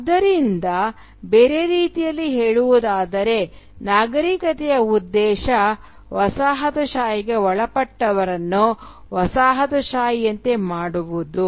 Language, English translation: Kannada, So, in other words, the civilising mission was about making the colonised more and more like the coloniser